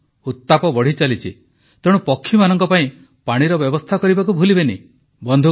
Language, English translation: Odia, Summer is on the rise, so do not forget to facilitate water for the birds